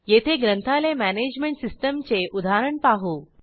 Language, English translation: Marathi, We have used the example of a Library Management system